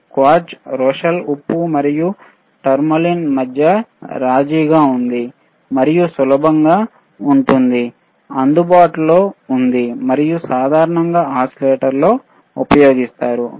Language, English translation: Telugu, Q quartz is a compromise between Rochelle salt and tourmaline and is easily available and very commonly used in oscillators, very commonly used in oscillators alright